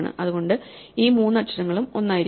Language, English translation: Malayalam, Therefore, these three letters must be the same